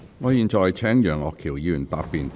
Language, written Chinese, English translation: Cantonese, 我現在請楊岳橋議員發言答辯。, I now call upon Mr Alvin YEUNG to reply